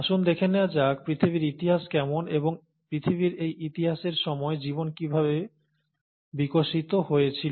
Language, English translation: Bengali, So, let’s get to how the history of earth is, and how life really evolved during this history of earth